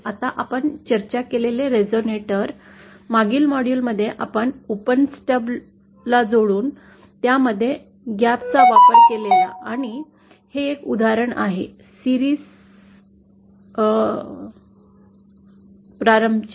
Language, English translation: Marathi, Now the resonator that we had discussed in the previous module using an open stub coupled with a gap, that is an example of a series inductor